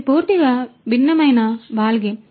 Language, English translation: Telugu, that is a completely different ballgame